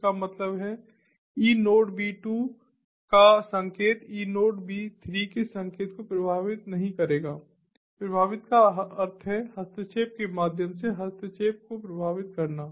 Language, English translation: Hindi, that means the signal of enodeb two will not affect the signal of enodeb three, affect means through interference, affecting through interference